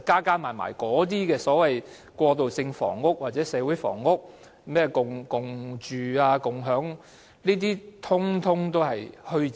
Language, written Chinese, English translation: Cantonese, 這些所謂過渡房屋或社會房屋，甚或共住共享等，其實全是虛招。, These so - called transitional housing or community housing or even co - housing and sharing schemes and so on are all pseudo - proposals